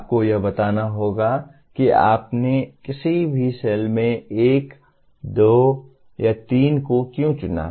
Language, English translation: Hindi, You have to justify why you chose 1, 2 or 3 in a particular cell